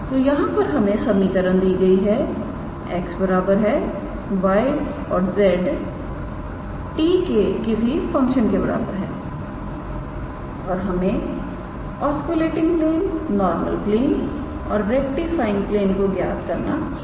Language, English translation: Hindi, So, here we are given the equation in as x equals to y equals to and z equals to some function of t and we have to calculate oscillating plane, normal plane and the rectifying plane